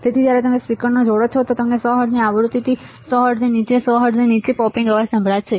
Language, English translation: Gujarati, So, when you connect a speaker and you will hear a popping sound at rate below 100 hertz below frequency of 100 hertz